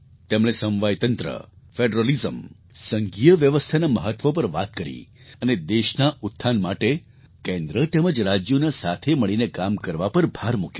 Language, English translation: Gujarati, He had talked about the importance of federalism, federal system and stressed on Center and states working together for the upliftment of the country